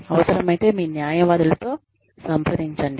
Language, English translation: Telugu, Consult with your lawyers, if necessary